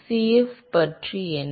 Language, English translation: Tamil, What about Cf